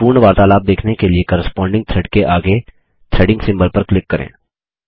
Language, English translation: Hindi, To view the full conversation click on the Threading symbol present next to the corresponding thread